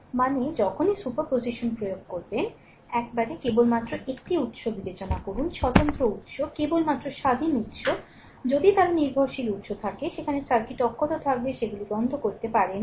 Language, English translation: Bengali, I mean whenever you applying super position, you consider only one source at a time independent source right only independent source if they dependent source, there will remain intact in the circuit right you cannot turn them off